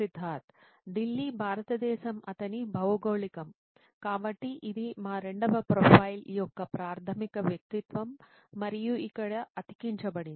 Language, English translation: Telugu, Delhi, India is his geography, so that is the basic persona of our second profile, and is pasted here